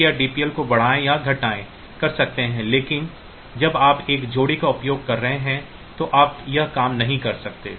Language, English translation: Hindi, So, you can increment decrement the DPL, but when you are you are using a pair whenever you are using a pair